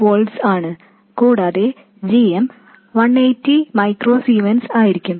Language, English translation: Malayalam, 8 volts and GM will be 180 micro zmonds